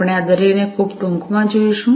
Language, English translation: Gujarati, We will look at each of these very briefly